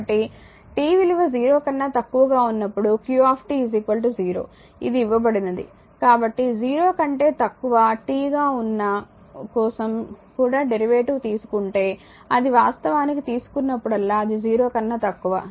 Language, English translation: Telugu, So, it is given qt is equal to 0 for t less than 0 right therefore, your it is actually if you take the derivative also for t less than 0